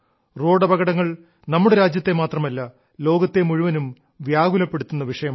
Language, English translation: Malayalam, Road accidents are a matter of concern not just in our country but also the world over